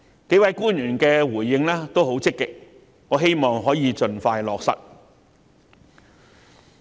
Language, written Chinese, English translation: Cantonese, 幾位官員的回應均十分積極，我希望可以盡快落實。, The several officials have responded very positively and I hope that these measures can be implemented as expeditiously as possible